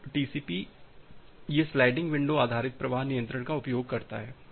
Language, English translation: Hindi, So, TCP it uses sliding window based flow control